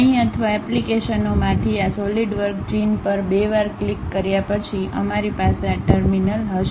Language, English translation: Gujarati, After double clicking these Solidworks icon either here or from the applications we will have this terminal